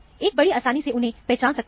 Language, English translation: Hindi, So, one can easily identify them